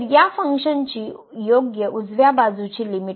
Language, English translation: Marathi, So, the right limit of this function as goes to 0